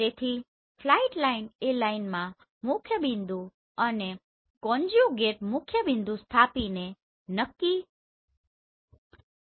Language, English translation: Gujarati, So flight line can be determine by plotting the principal point and conjugate principal point in a line